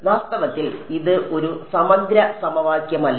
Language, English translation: Malayalam, In fact, it is not an integral equation ok